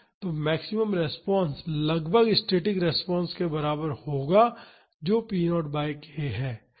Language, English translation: Hindi, So, the maximum response will be approximately equal to the static response that is p naught by k